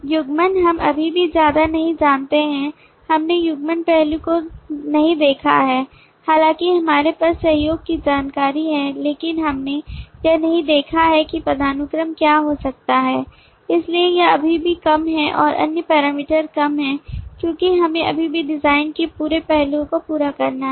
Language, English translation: Hindi, coupling we still do not know much, we have not seen the coupling aspect though we have the collaboration information, but we have not seen in terms of what the hierarchy could be so this is still low and the other parameters are low because we are still to complete the whole aspects of the design as yet